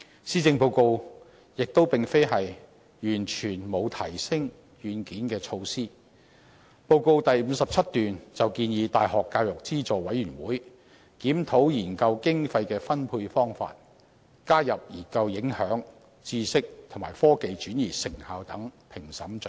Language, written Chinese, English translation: Cantonese, 施政報告亦非完全沒有提升"軟件"的措施，報告第57段便建議大學教育資助委員會檢討研究經費的分配方法，加入研究影響、知識及科技轉移成效等評審準則。, Measures for upgrading software are not altogether absent from the Policy Address . Paragraph 57 of the Address suggests the University Grants Committee review the allocation of research grants expand the assessment criteria to include research impact and effectiveness of knowledge and technology transfer